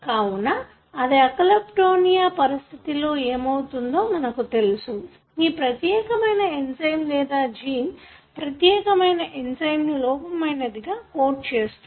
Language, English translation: Telugu, So, what happens in this condition Alkaptonuria is now we know that this particular enzyme or the gene that codes for this particular enzyme is defective